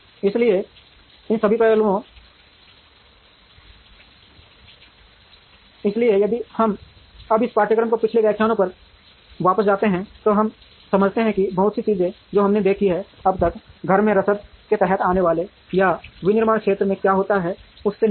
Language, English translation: Hindi, So, all these aspects, so if we now go back to the previous lectures in this course, we understand that many of the things that we have seen, so far now, deal with what comes under in house logistics or what happens within a manufacturing enterprise